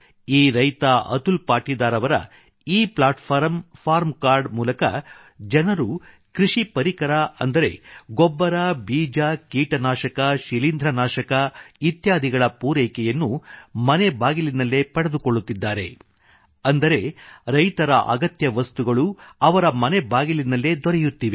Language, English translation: Kannada, Through the Eplatform farm card of Atul Patidar, farmers are now able to get the essentials of agriculture such as fertilizer, seeds, pesticide, fungicide etc home delivered the farmers get what they need at their doorstep